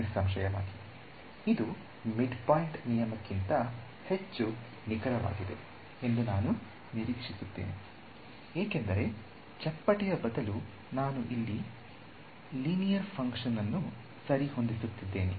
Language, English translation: Kannada, Obviously, we expect this to be more accurate than the midpoint rule ok, because instead of a flatting I am fitting a linear function over here ok